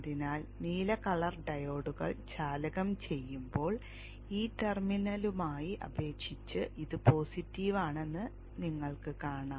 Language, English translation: Malayalam, So you saw that when the blue colored diodes are conducting this is positive with respect to this terminal